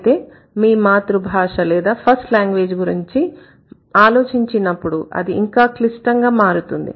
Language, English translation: Telugu, And when the matter comes to your own first language or your mother language, it could be even a little more complex